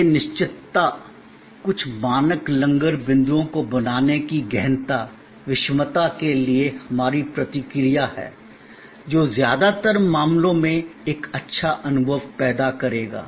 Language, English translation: Hindi, This is our response to the intangibility, the heterogeneity to create certain standard anchor points, which will in most cases produce a good experience